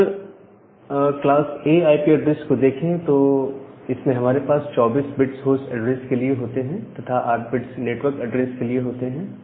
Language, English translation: Hindi, In case of class B IP address, you have 16 bit of host address, and then 16 bit for the network address